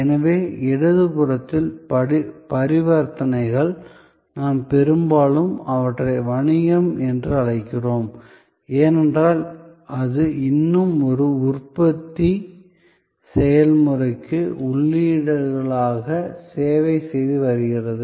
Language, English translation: Tamil, So, on the left hand side the transactions we often call them business to business, because it is still being serving as inputs to a manufacturing process